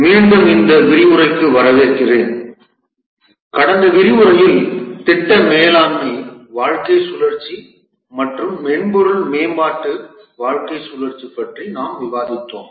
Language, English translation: Tamil, Welcome to this lecture about In the last lecture we are discussing about the project management lifecycle and the software development lifecycle